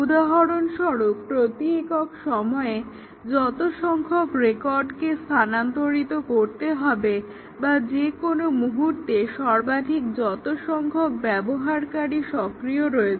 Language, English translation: Bengali, For example, the number of records to be transferred per unit time, maximum number of users active at any time